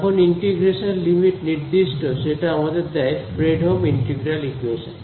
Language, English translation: Bengali, When the limits of integration are fixed right so, that gives us a Fredholm integral equation